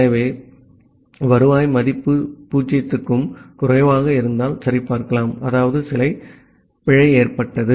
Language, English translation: Tamil, So, that is why you can check the return value if it is less than 0; that means certain error has occurred